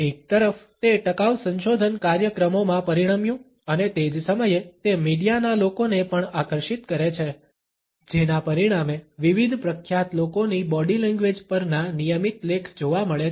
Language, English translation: Gujarati, On one hand it resulted into sustainable research programs and at the same time it also attracted the media people resulting in regular columns looking at the body language of different famous people